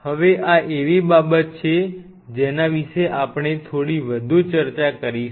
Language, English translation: Gujarati, Now this is something we will be discussing little bit more